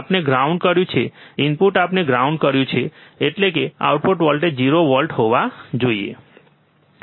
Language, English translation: Gujarati, We have grounded, input we have grounded, means output voltage should be 0 volt, right